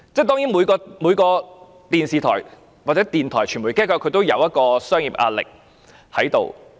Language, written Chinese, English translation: Cantonese, 當然，每間電視台、電台或傳媒機構也要面對商業壓力。, Certainly all television stations radio stations and media organizations are subject to pressure in business operation